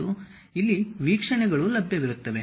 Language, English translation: Kannada, And there will be views available here